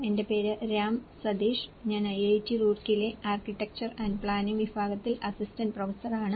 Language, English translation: Malayalam, My name is Ram Sateesh; I am an assistant professor in Department of Architecture and Planning, IIT Roorkee